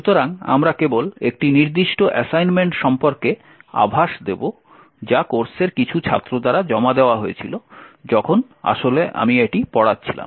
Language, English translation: Bengali, So, we will be just glimpsing about one particular assignment which was submitted by some of the students in the course when I was actually teaching it